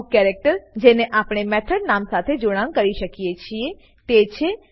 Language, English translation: Gujarati, Some of the characters that can be appended to a method name are: